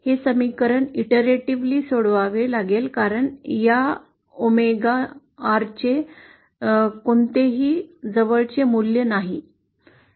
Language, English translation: Marathi, This equation has to be solved iteratively because there is no close form the value for this omega R